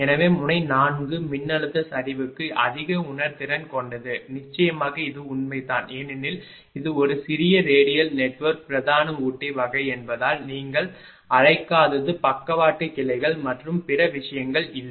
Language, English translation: Tamil, So, node 4 is the more sensitive to the voltage collapse this is ah of course, 2 because it is a small radial network main (Refer Time: 13:56) type there is no ah your what you call ah no lateral one such other thing